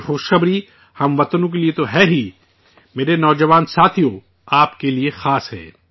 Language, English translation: Urdu, This good news is not only for the countrymen, but it is special for you, my young friends